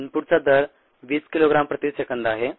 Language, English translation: Marathi, rate of input is twenty kilogram per second